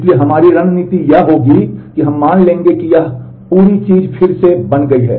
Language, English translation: Hindi, So, our strategy would be, that we will assume as if this, this whole thing as is redone